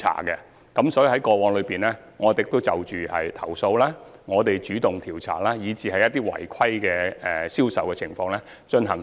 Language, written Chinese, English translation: Cantonese, 我們在過去的日子裏，對一些投訴進行主動調查，並對一些違規的銷售情況進行檢控。, In the past we proactively investigated certain complaints and initiated prosecutions against non - compliant sales practices